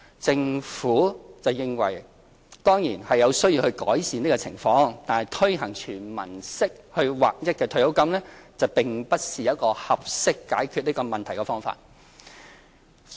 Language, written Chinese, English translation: Cantonese, 政府認為有需要改善有關情況，但推行"全民式"劃一退休金並不是合適解決這個問題的方法。, The Government agrees that we certainly must improve the situation but granting uniform payments under a universal scheme is not the appropriate solution